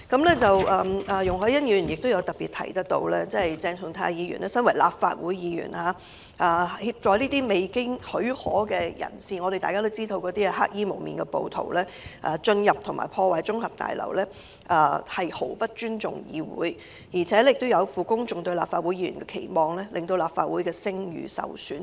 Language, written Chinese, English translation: Cantonese, 此外，容海恩議員亦特別提到，鄭松泰議員身為立法會議員，協助該等未經許可人士——大家也知道那些是黑衣蒙面的暴徒——進入及破壞綜合大樓，毫不尊重議會，亦有負公眾對立法會議員的期望，令立法會聲譽受損。, Besides Ms YUNG Hoi - yan has also particularly mentioned that Dr CHENG Chung - tai as a Legislative Council Member assisted unauthorized persons―we all know that they were masked black - clad rioters―to illegally enter and vandalize the Legislative Council Complex thus showing no respect for the Council failing the publics expectations of a Legislative Council Member and tarnishing the Legislative Councils reputation